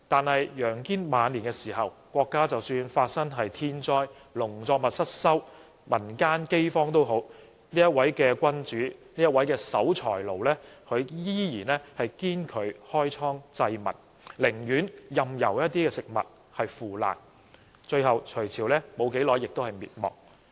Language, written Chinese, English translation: Cantonese, 可是，在楊堅晚年時，即使國家發生天災，農作物失收，民間饑荒，但這位守財奴君主仍然堅拒開倉濟民，寧願任由食物腐爛，最後隋朝不久便滅亡。, But in the later years of YANG Jian when the country suffered from natural disasters crop failures and famine he was so misery that he still refused to provide grains to the people from the granaries; he would rather have the food rotten than giving them to the public . Finally the Sui Dynasty was overthrown